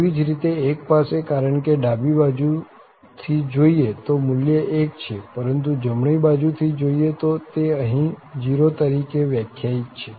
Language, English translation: Gujarati, Similarly, at 1 also, because if we look from left hand side the value will be 1, but if we look from the right hand side or this is exactly defined here at 0